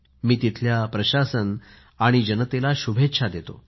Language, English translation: Marathi, I congratulate the administration and the populace there